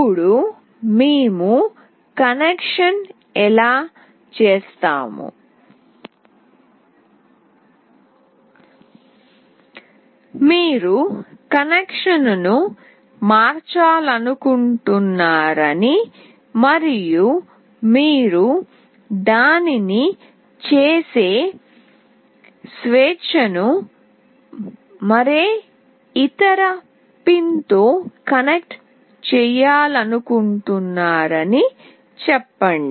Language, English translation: Telugu, Now this is how we have done the connection, let us say you want to change the connection and you want to connect it to any other pin you have the freedom of doing that as well